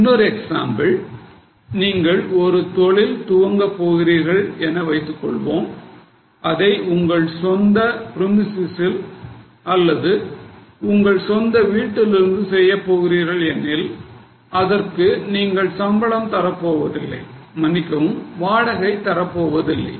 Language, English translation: Tamil, Now here is an example that suppose you want to start a business and if you go for doing it from your own premises, from your own house maybe, you are not paying any salary now, sorry, you are not paying any rent now